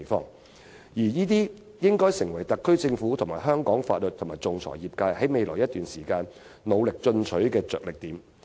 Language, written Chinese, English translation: Cantonese, 凡此種種，均應成為特區政府、香港法律界及仲裁業界未來一段時間努力進取的着力點。, This should be the major area requiring ambitious efforts from the SAR Government Hong Kongs legal profession and the arbitration industry for quite some time in the future